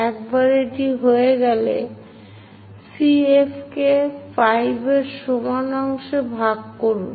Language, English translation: Bengali, Once that is done divide CF into 5 equal parts